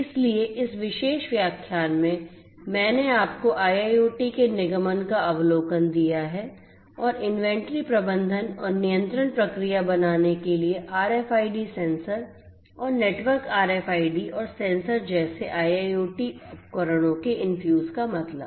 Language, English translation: Hindi, So, in this particular lecture I have given you the an overview of the incorporation of IIoT and the infuse meant of IIoT devices such as RFID sensors and the network RFIDs and sensors for making the inventory management and control process much more efficient and smarter